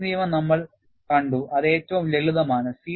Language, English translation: Malayalam, We have seen Paris law, which is the simplest